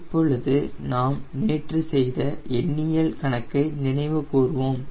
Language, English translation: Tamil, now we will be revisiting that numerical which we did yesterday